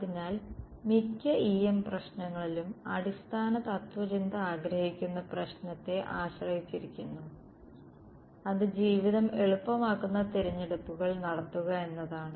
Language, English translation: Malayalam, So, it depends on the problem we want to basic philosophy in most E M problems is make those choices which makes life easy